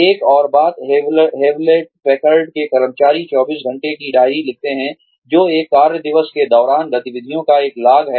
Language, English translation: Hindi, Another thing, that employees of Hewlett Packard do is, write up 24 hour diaries, which is a log of activities, during one workday